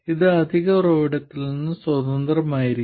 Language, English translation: Malayalam, This will be independent of the additional source